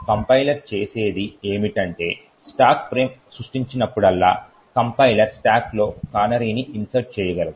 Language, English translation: Telugu, Essentially what the compiler does is that, whenever a stack frame gets created the compiler could insert a canary in the stack